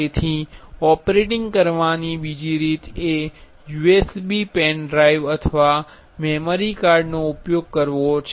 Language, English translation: Gujarati, So, another way of operating is using a USB pen drive or a memory card